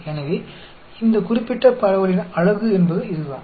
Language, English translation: Tamil, So, that is the beauty of this particular distribution